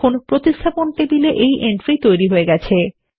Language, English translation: Bengali, You see that the entry is made in the replacement table